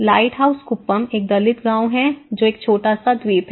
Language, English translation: Hindi, Lighthouse Kuppam is a Dalit village, its a small island